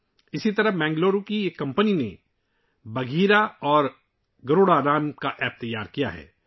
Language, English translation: Urdu, Similarly, a Bengaluru company has prepared an app named 'Bagheera' and 'Garuda'